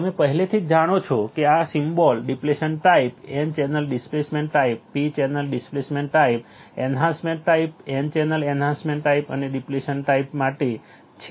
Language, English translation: Gujarati, You already know this symbol is for the depletion type, n channel depletion type, p channel depletion type enhancement type, n channel enhancement and depletion type